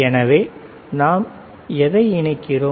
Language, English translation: Tamil, So, what we are connecting